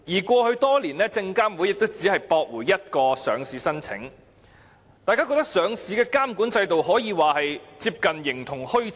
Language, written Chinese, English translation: Cantonese, 過去多年，證監會亦只曾駁回一個上市申請，令人感到上市監管制度可說是接近形同虛設。, Over the years only one listing application has been rejected by SFC and this gives us an impression that the listing regulatory regime exists in name only